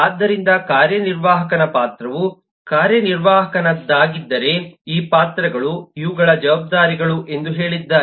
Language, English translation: Kannada, so the executive has say: if the role is of an executive, then these are the roles, these are the responsibilities